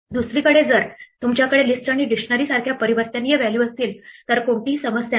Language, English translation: Marathi, On the other hand, if you have mutable values like lists and dictionaries there is no problem